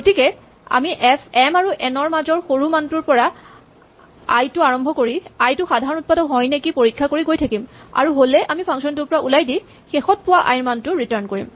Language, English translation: Assamese, So we start with i equal to the minimum of m and n and we check whether i is a common factor if it is so we exit and return the value of i that we last found